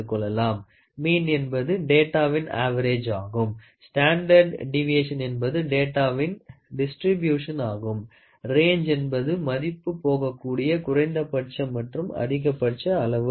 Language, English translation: Tamil, Mean is the average of data, standard deviation talks about the distribution of the data, range is the minimum and the maximum value which it can